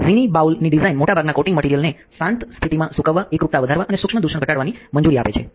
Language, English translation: Gujarati, So, the close bowl design allows most coating materials to dry in a quiescent state increasing uniformity and minimizing particle contamination